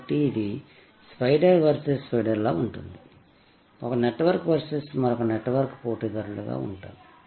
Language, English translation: Telugu, So, this almost like a spider versus spider, one network versus another network is the nature of this battle